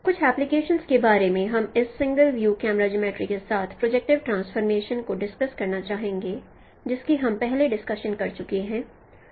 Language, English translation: Hindi, Some of the applications that we would like to discuss of projective transformation associated with this single view camera geometry, what we are discussing earlier